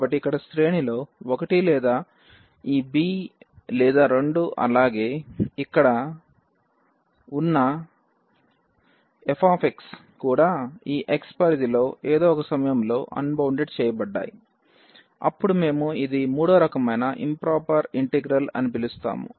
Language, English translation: Telugu, So, the range one of the range here either a or this b is infinity or both are infinity as well as the f x the integrand here is also unbounded at some point in the within the range of this x then we call that this is the third kind of improper integral